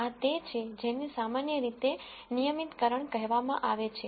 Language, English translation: Gujarati, This is what is typically called as regularization